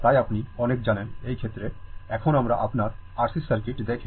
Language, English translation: Bengali, So, so many you know, in this case, now we are seeing that your RC circuit